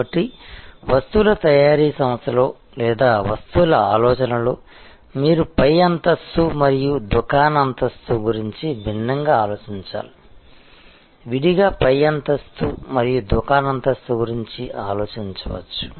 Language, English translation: Telugu, So, in a manufacturing organization for goods or in goods thinking, you can think about the top floor and the shop floor differently, separately top floor and the shop floor